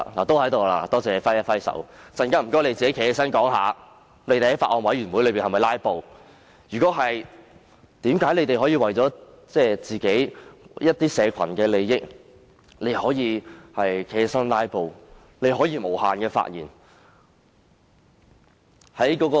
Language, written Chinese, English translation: Cantonese, 多謝他揮手示意在席，並請他們稍後解釋有否在法案委員會會議上"拉布"；如果有，為何他們可以為自己所代表的某個社群的利益而站起來"拉布"，並且無限次發言？, I thank him for waving his hand to indicate his presence at that meeting . I would like to invite those Members to elucidate later on whether they had filibustered at that Bills Committee meeting; if they had why were they allowed to filibuster speaking for unlimited times to fight for the interests of a certain group of people?